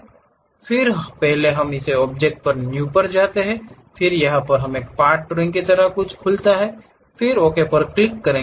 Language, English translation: Hindi, Again first we go to this object New, then it opens something like a Part drawing, click then Ok